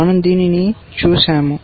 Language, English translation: Telugu, We have looked at this